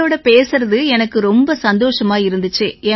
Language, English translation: Tamil, I was also very happy to talk to you